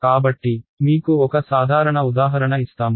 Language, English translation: Telugu, So I will give you a simple example